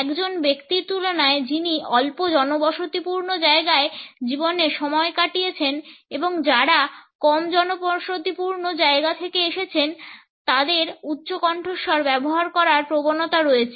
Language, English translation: Bengali, In comparison to a person who has spent a life time in sparsely populated place and those people who are from less populated places tend to use a higher volume